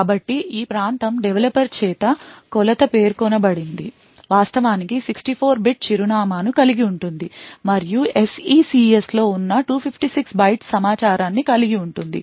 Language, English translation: Telugu, So, this region is specified by the developer the measurement actually comprises of a 64 bit address and 256 byte information present the in SECS